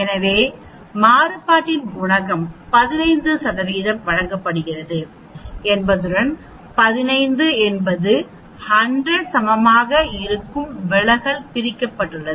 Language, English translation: Tamil, So coefficient of variation is given by 15 %, 15 is equal to 100 into s the standard deviation divided x bar